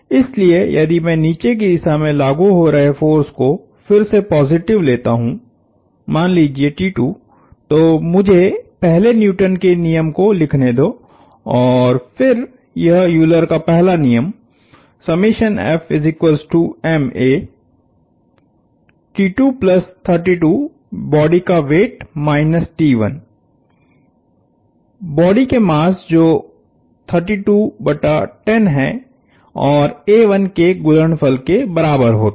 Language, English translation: Hindi, So, if I take downward forces positive again says T 2, so let me write the law first and then this is Euler’s first law, T 2 plus 32; the weight of the body minus T 1 equals the mass of the body, which is 32 divided by 10 times a 1